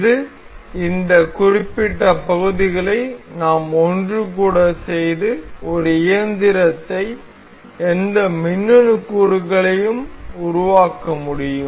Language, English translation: Tamil, So this is, using the these particular parts we can assemble these to form one machinery any electronic component anything